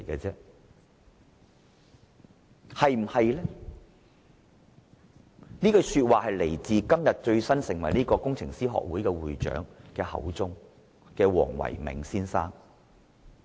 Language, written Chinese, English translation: Cantonese, 這句說話出自今天剛成為工程師學會會長的黃唯銘先生口中。, This remark was made by Dr Philco WONG who just took up the post as the President of the Hong Kong Institution of Engineers today